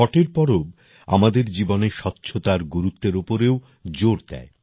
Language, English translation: Bengali, The festival of Chhath also emphasizes on the importance of cleanliness in our lives